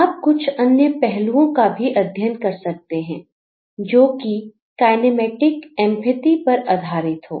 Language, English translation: Hindi, There are also aspects that you may make further study that is on the kinematic empathy